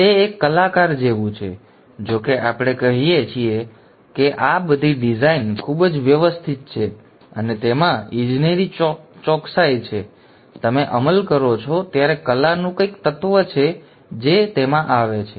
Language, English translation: Gujarati, Though we say all this design is very systematic and has engineering precision in it, when you implement, there is some element of art which comes into it